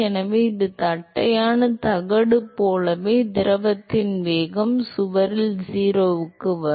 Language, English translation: Tamil, So, similar to the flat plate the velocity of the fluid will come to 0 at the wall right